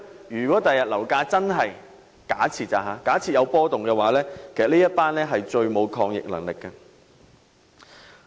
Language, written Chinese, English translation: Cantonese, 如果日後樓市出現波動，他們將是最沒有抗逆能力的一群。, Should the property market fluctuate in the future these people will be the least resilient ones